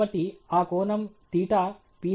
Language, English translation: Telugu, So, that angle, the theta, Ph